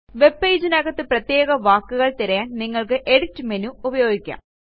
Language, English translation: Malayalam, You can use the Edit menu to search for particular words within the webpage